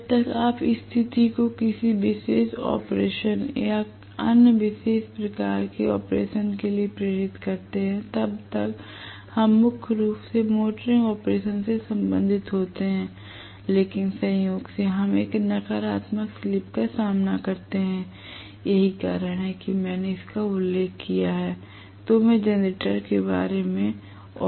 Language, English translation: Hindi, As long as you make the situation conduce for 1 particular operation or the other particular type of operation, we are primarily concerned with the motoring operation, but incidentally when we encounter a negative slip that is the reason why I just mentioned this, no more of generator, I will not talk about generator any more